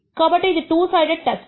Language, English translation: Telugu, So, this is a two sided test